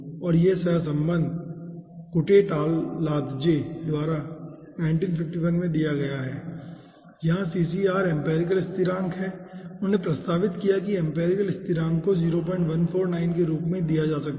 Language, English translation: Hindi, and this ah correlation has been given by kutateladze, okay, in 1951here ccr is the empirical constant and he has proposed empirical constant can be taken as 0 point 149